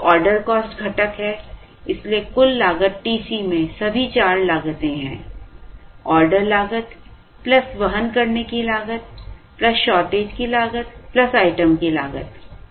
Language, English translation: Hindi, So, the order cost component, so the total cost has, TC has all the four costs, order cost plus carrying cost plus shortage cost plus item cost